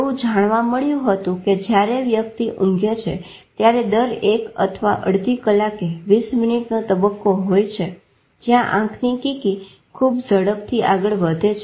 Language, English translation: Gujarati, It was found that there are while a person is sleeping, there are phases of 20 minutes every one one and a half hour where the eyeballs move very fast